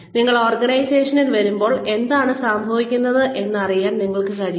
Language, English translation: Malayalam, When you come into the organization, you are able to, know what is going on